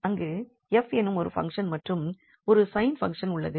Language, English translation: Tamil, There is a function f and there is a function sine